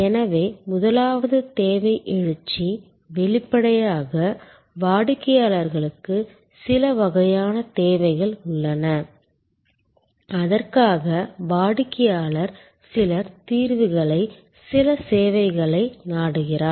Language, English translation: Tamil, So the first is need arousal; obviously, the customer has some kind of need for which the customer then seeks some solution, some service